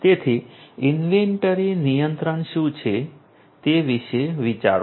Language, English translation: Gujarati, So, think about what is inventory control